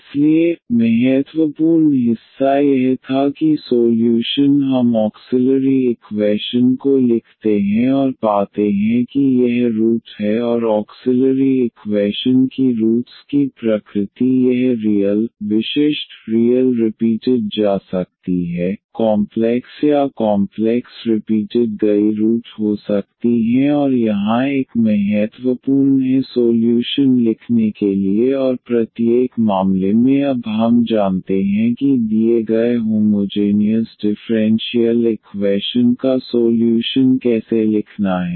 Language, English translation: Hindi, So, the crucial part was that first we write down the auxiliary equation and find it is roots and the nature of the roots of the auxiliary equation it may be real, distinct, real repeated, complex or complex repeated roots and that is a important here for writing the solution and in each case we know now how to write the solution of the given homogeneous differential equation